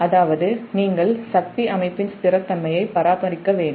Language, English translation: Tamil, so that means you have to, you have to maintain the stability of power system